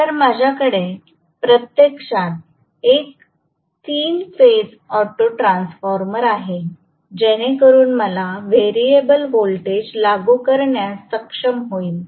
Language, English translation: Marathi, So, I am going to have actually a 3 phase auto transformer sitting in between so that I will able to apply variable voltage if I want to